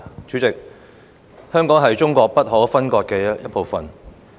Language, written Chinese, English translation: Cantonese, 主席，香港是中國不可分割的一部分。, President Hong Kong is an integral part of China